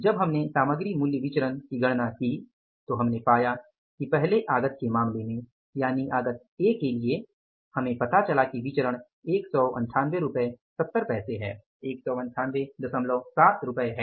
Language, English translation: Hindi, While we calculated the material price variance we found out that in case of the first input that is the input A we found out that the variance is 198